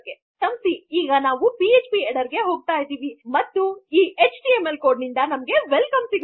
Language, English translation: Kannada, Sorry, so we will go to php header and we have got Welcome